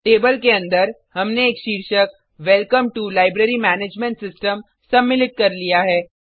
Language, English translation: Hindi, Inside the table we have included a heading, Welcome to Library Management System